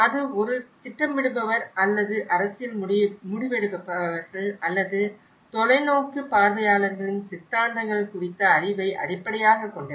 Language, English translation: Tamil, Whether it is a planners or the political decision makers or it is based on the knowledge on ideologies of the visionaries